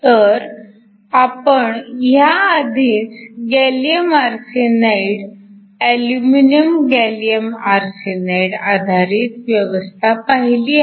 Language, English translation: Marathi, So, We already saw earlier that we had a gallium arsenide aluminum gallium arsenide based system